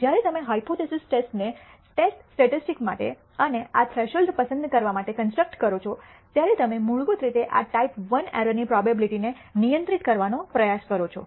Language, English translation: Gujarati, When you construct this hypothesis test to construct the test statistic and choose a threshold you basically try to control this type I error probability